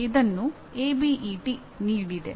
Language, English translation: Kannada, This is as given by ABET